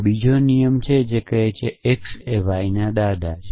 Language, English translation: Gujarati, May be there is another rule which says that grandfather of x y